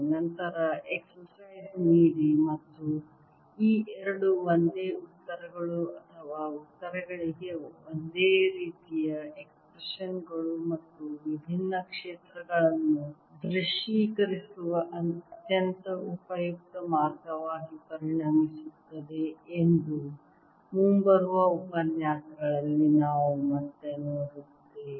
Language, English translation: Kannada, this i'll give as an exercise later and we will again see in coming lectures, that this kind of similarity of equations, these two same answers or same expressions for the answers, and that becomes a very useful way of visualizing different feels